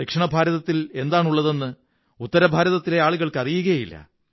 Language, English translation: Malayalam, People of North India may not be knowing what all is there in the South